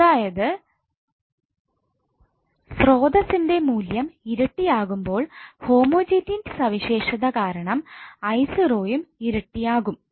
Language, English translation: Malayalam, So it means that when sources value is double i0 value will also be double because of homogeneity property